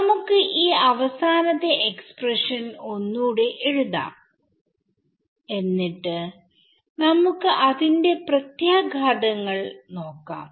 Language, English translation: Malayalam, So, let us write down this final expression once again and then we can see the implications of it